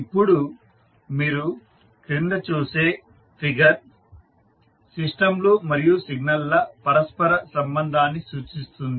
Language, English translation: Telugu, Now, the figure which you see below will represent the interconnection of the systems and signals